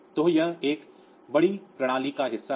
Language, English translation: Hindi, So, it is or it is a part of a bigger system